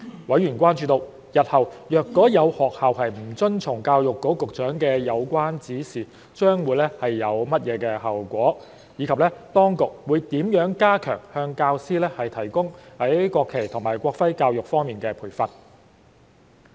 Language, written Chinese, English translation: Cantonese, 委員關注到，日後如果有學校不遵從教育局局長的有關指示，將會有甚麼後果，以及當局會如何加強向教師提供在國旗及國徽教育方面的培訓。, Members have enquired about the consequences that schools would face for failures to comply with the relevant directions to be given by the Secretary for Education and how the Administration would strengthen the training for teachers on education in the national flag and national emblem